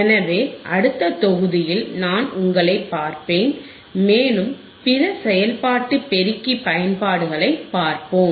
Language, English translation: Tamil, So, I will see you in the next module and we will see other applications of the operational amplifier